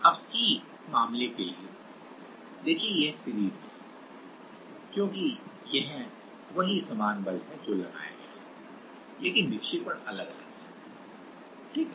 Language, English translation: Hindi, Now, for the c case, see this is in series, because it is the same force which is applied, but the deflection is different, right